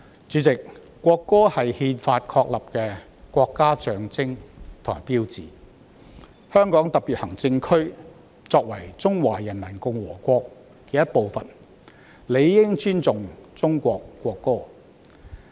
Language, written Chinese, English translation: Cantonese, 主席，國歌是憲法確立的國家象徵和標誌，香港特別行政區作為中華人民共和國的一部分，理應尊重中國國歌。, President the national anthem is a national symbol and sign established by the Constitution . As part of the Peoples Republic of China the Hong Kong Special Administrative Region should respect the national anthem of China